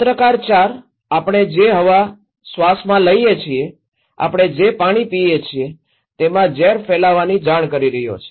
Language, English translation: Gujarati, Journalist 4 is reporting poisoning the air we breathe, the water we drink